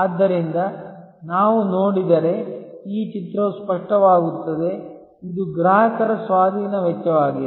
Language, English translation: Kannada, So, if we look at therefore, this picture it becomes clearer, this is the acquisition cost for the customer